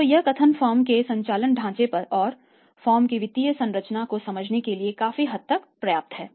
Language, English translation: Hindi, So, this statement is enough largely to understand the operating structure of the firm and the financial structure of the firm